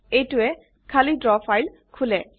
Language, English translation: Assamese, This will open an empty Draw file